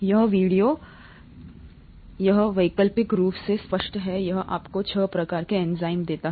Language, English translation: Hindi, This video, this is optional clearly this gives you the six types of enzymes